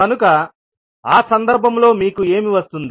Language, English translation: Telugu, So in this case, what we will do